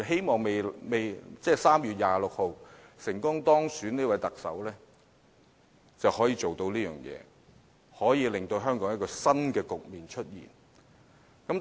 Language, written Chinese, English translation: Cantonese, 我希望3月26日成功當選的特首可以做到這一點，令香港有新局面出現。, I hope that the Chief Executive to be elected on 26 March will be able to do so and open up a new era for Hong Kong